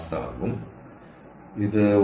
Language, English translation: Malayalam, ok, so this